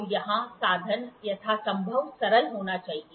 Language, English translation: Hindi, So, here the instrument must be as simple as possible